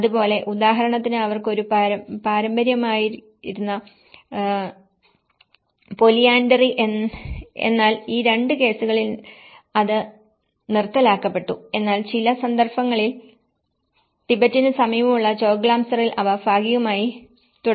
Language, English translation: Malayalam, So, like that, like for example the polyandry which has been a tradition for them but that has been discontinued in these 2 cases but whereas, in Choglamsar which is close to the Tibetan in some cases they have partially continued